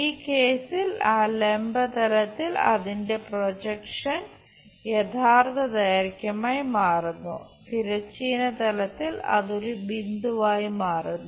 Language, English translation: Malayalam, And its projection on that vertical plane for this case becomes true length on the horizontal plane it becomes a point